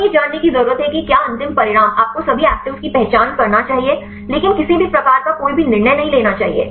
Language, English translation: Hindi, We need to know whether the final result you should identify all the actives, but should not get any decays